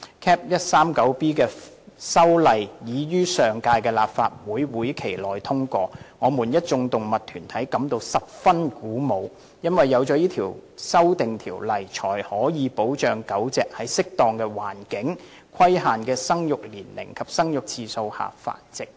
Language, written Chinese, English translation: Cantonese, Cap. 139B 的修例已於上屆立法會會期內通過，我們一眾動物團體感到十分鼓舞，因為有此修訂條例才可以保障狗隻在適當的環境、規限的生育年齡及生育次數下繁殖。, The amendment to Cap . 139B was passed in the last legislative session . Various animal organizations are happy as the amended legislation provides protection to dogs by stipulating the suitable environment for breeding the breeding age and the number of litters